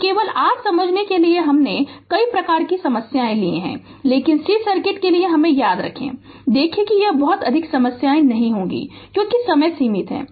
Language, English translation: Hindi, So, just for your understanding only I have taken varieties of problem, but remember for a c circuit, see this too many problems will not be taken because time is restricted